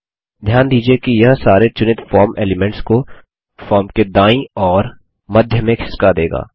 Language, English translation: Hindi, Notice that this moves all the selected form elements towards the right and the centre of the form